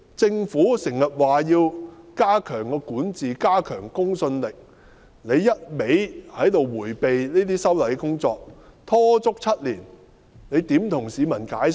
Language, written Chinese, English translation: Cantonese, 政府時常說要加強管治，加強公信力，但卻一味迴避這些修例工作，拖了7年，怎樣向市民解釋？, The Government often says that it will improve its governance and enhance its credibility but it has been avoiding the legislative amendment exercise for seven years . How can it be accountable to the public?